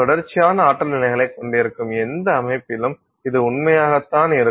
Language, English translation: Tamil, It is also true of any other system where you will have a continuous set of energy levels